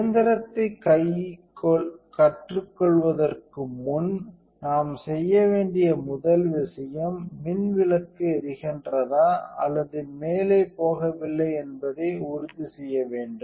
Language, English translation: Tamil, So, before we learn the machine the first thing we got to do is make sure the light bulb is turned on or even not going up